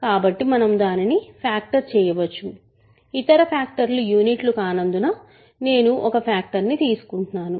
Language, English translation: Telugu, So, we can factor it; so, I am taking one of the factors so that the other factors are not units